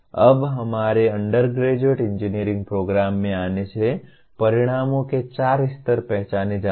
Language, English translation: Hindi, Now, coming to our undergraduate engineering programs there are four levels of outcomes identified